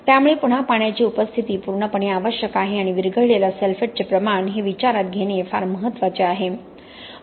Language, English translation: Marathi, So again presence of water is absolutely necessary and the amount of dissolved sulphates is what is very important to consider